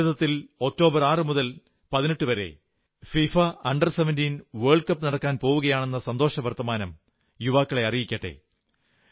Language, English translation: Malayalam, The good news for our young friends is that the FIFA Under 17 World Cup is being organized in India, from the 6th to the 28th of October